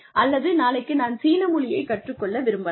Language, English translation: Tamil, May be tomorrow, I want to go and learn Chinese